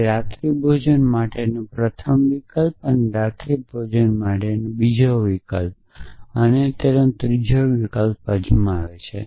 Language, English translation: Gujarati, So, it tries the first option for dinner and the second option for dinner and the third option for dinner